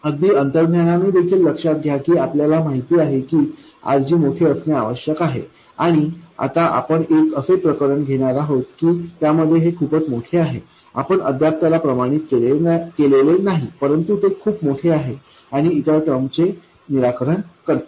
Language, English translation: Marathi, Remember even intuitively we know that RG has to be large and now we are kind of taking an extreme case, it is very large, we have not quantified it yet but it is very large and overwhelms all the other terms